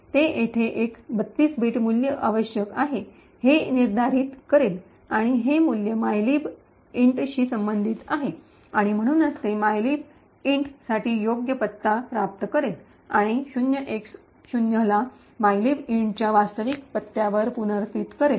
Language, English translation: Marathi, It would determine that here there is a 32 bit value that is required and this value corresponds to the mylib int and therefore it would obtain the correct address for mylib int and replace the 0X0 with the actual address of mylib int